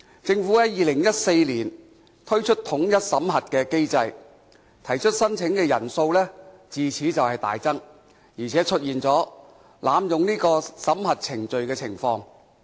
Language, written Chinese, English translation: Cantonese, 政府在2014年推出免遣返聲請統一審核機制，提出申請人數自此大增，而且出現濫用審核程序的情況。, In 2014 the Government introduced the unified screening mechanism for non - refoulement claims . Since then the number of applicants has surged and abuses of the screening procedures have emerged